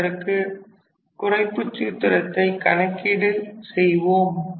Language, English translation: Tamil, So, this is one such reduction formula